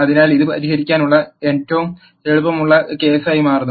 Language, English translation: Malayalam, So, this turns out to be the easiest case to solve